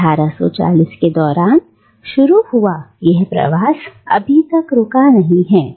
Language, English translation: Hindi, And this migration that started during the 1840’s has not stopped yet